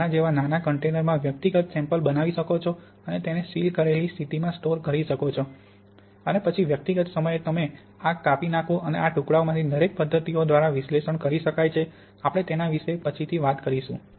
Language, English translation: Gujarati, You can either make individual samples in small containers like this and store them in sealed conditions or you and then at individual time, you take these slices and each of these slices can be analyzed by the methods we are going to talk about later